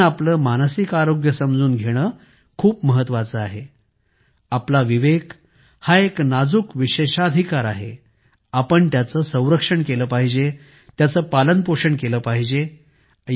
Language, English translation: Marathi, It's very important we understand our mental health, our sanity is a fragile privilege; we must protect it; we must nurture it